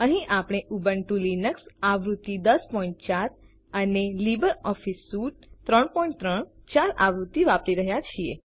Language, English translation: Gujarati, Here we are using Ubuntu Linux version 10.04 and LibreOffice Suite version 3.3.4